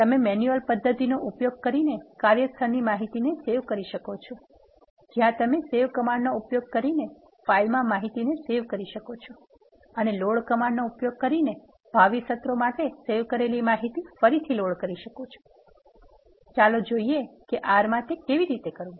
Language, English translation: Gujarati, You can also save the workspace information using manual method where you can save the information to a file using the save command and the saved information can be reloaded for the future sessions using the load command let us see how to do that in R